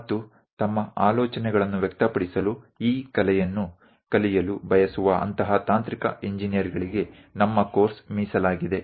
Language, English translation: Kannada, And our course is meant for such technical engineers who would like to learn this art of representing their ideas